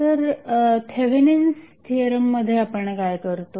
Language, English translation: Marathi, So, what we do in case of Thevenin's theorem